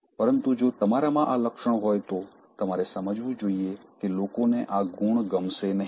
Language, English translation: Gujarati, But if you have this thing, you should understand that people will not like this quality